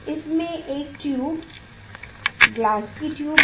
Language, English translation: Hindi, this is a tube glass tube